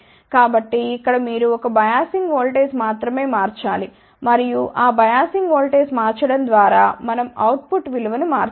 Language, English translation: Telugu, So, here then you have to change only 1 biasing voltage and by changing that biasing voltage we can change the value of output